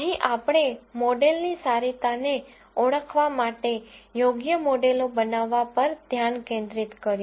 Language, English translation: Gujarati, Here we focused on building appropriate models identifying the goodness of models and so on